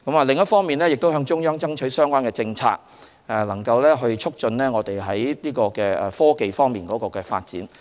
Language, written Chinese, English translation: Cantonese, 另一方面，我們亦向中央爭取相關的政策，促進在科技方面的發展。, On the other hand we also ask the Central Authorities for the policies concerned so as to promote the development of science and technology